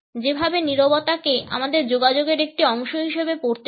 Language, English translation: Bengali, In the way silence is to be read as a part of our communication